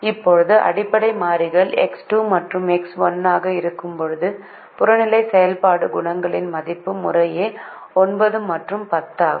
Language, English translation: Tamil, now, when the basic variables are x two and x one, the value of the objective function coefficients are nine and ten respectively